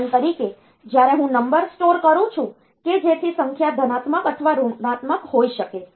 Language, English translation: Gujarati, For example, when I am storing a number; so that the number may be the number may be positive or negative